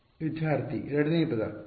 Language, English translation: Kannada, Second term The last term